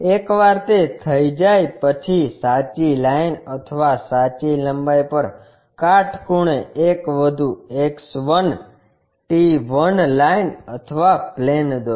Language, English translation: Gujarati, Once it is done, perpendicular to the true line or true length, draw one more X 1, I 1 line or plane